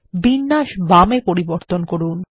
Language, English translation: Bengali, Change the alignment to the left